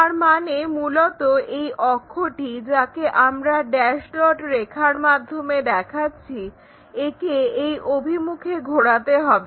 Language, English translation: Bengali, That means, basically the axis what we are having, dash dot line this has to be rotated in that direction